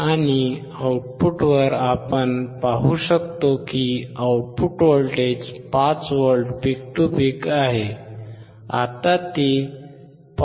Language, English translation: Marathi, And at the output we can see, 5V peak to peak , now it is 5